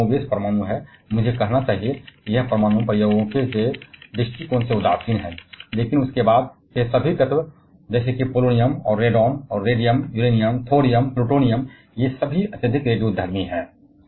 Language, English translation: Hindi, Lead is more or less is nuclear I should say it is neutral from nuclear experiments point of view, but all those elements after that like this polonium and radon, and radium, Uranium, thorium, plutonium, they all are highly radioactive